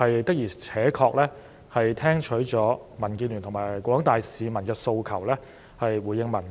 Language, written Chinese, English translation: Cantonese, 的而且確，政府是聽取了民主建港協進聯盟及廣大市民的訴求，回應民意。, Indeed the Government has answered the aspirations of the Democratic Alliance for the Betterment and Progress of Hong Kong and the general public and responded to public opinions